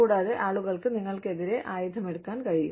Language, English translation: Malayalam, And, people could, go up in arms, against you